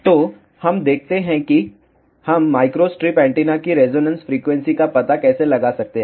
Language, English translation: Hindi, So, let us see how we can find the resonance frequency of a microstrip antenna